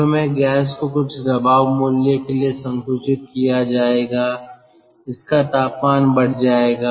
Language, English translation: Hindi, initially, gas will be compressed to certain pressure value